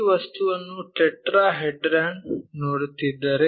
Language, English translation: Kannada, So, if we are looking at this object tetrahedron